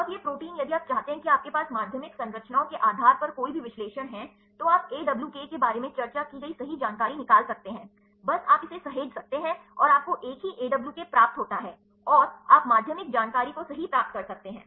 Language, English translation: Hindi, Now, these proteins if you want to you have any analysis based on secondary structures, you can extract right we discussed about AWK, just you can save it and you receive a single AWK come and, you can get the secondary information right